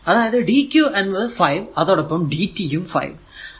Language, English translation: Malayalam, So, i actually is equal to dq by dt